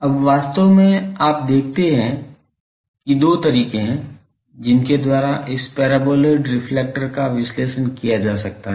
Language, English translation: Hindi, Now, you see that actually you see that there are two ways by which this paraboloid reflector can be analysed